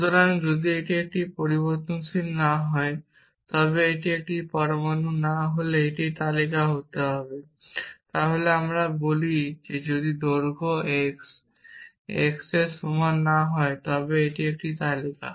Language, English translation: Bengali, So, if it is not a variable then if it is not an atom it must be a list then we say if length x not equal to length it is a list